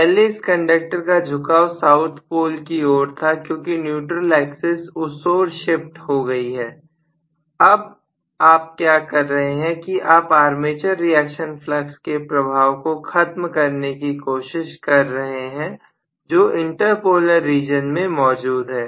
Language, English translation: Hindi, Previously this conductor was orienting itself towards south pole because essentially the neutral axis itself has shifted, now what you are trying to do is to nullify the effect of the armature reaction flux which is in the inter polar region alone